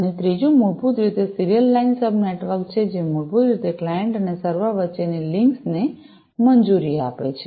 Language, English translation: Gujarati, And, the third one is basically the serial line sub network that basically grants the links between the client and the server